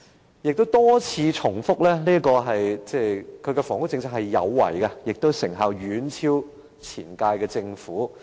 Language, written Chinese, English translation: Cantonese, 梁振英亦多次重申，他的房屋政策"有為"，而成效亦遠超前屆政府。, LEUNG Chun - ying had also said time and again that his proactive housing policy was much more effective than those of previous Governments